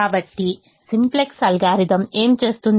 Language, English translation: Telugu, so what does simplex algorithm do